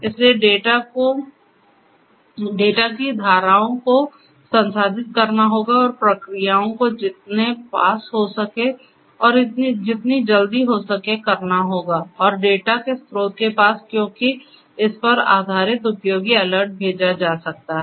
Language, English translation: Hindi, So, the streams of data will have to be processed and actions will have to be taken immediately as close as possible, as soon as possible and to the source of the data because based on that useful alerts can be sent